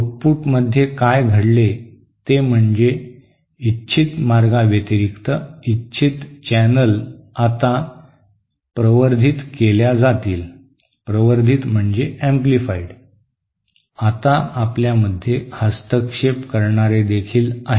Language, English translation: Marathi, What happens in the output is that in addition to the desired channels, so the desired channels will now be amplified, we also have now interferers